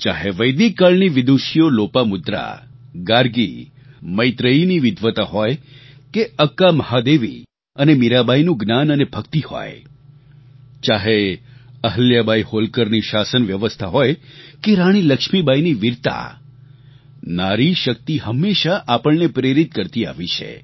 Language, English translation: Gujarati, Lopamudra, Gargi, Maitreyee; be it the learning & devotion of Akka Mahadevi or Meerabai, be it the governance of Ahilyabai Holkar or the valour of Rani Lakshmibai, woman power has always inspired us